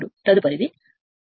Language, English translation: Telugu, Now, next is this one right